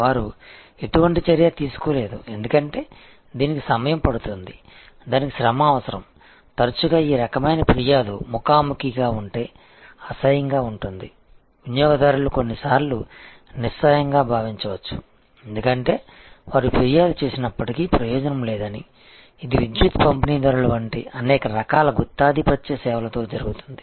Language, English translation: Telugu, They took no action, because in a takes time, it takes effort, often this kind of complain if it is face to face is unpleasant, customer may sometimes feel helpless, because they may be feel that, it is no point in spite of complaints, it happens with many kind of monopolistic services, like a power distributors and so on